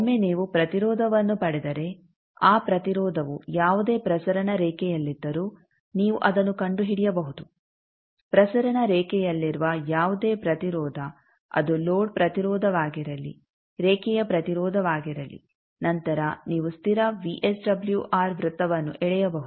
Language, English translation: Kannada, Once you got an impedance you can always find out that if that impedance is one any transmission line, any impedance whether it is load impedance, line impedance, on transmission line then you can draw the constant VSWR circle